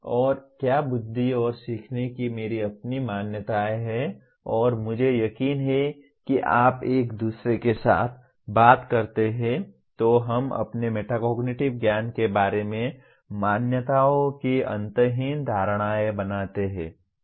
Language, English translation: Hindi, And my own beliefs of what intelligence and learning and I am sure when you talk to each other in a common parlance we make endless number of assumptions about our metacognitive knowledge